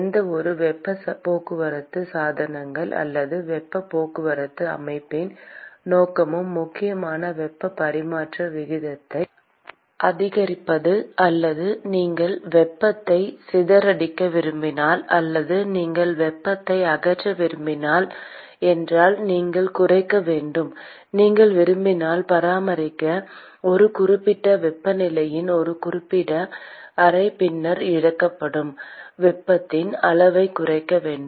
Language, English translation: Tamil, And we said that the purpose of any heat transport equipment or heat transport system is essentially to either increase the heat transfer rate if you want to dissipate the heat or if you do not want to dissipate the heat, you want to cut down / you want to maintain the a certain chamber with a certain temperature then you want to cut down the amount of heat that is lost